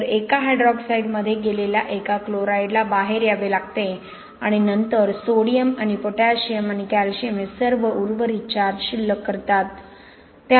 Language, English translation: Marathi, Hydroxide, so for one chloride that goes in, one hydroxide that comes out right and then sodium and potassium and calcium all do the remaining charge balance okay